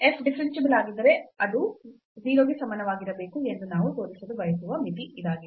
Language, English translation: Kannada, So, this is this limit which we want to show that if f is differentiable this must be equal to 0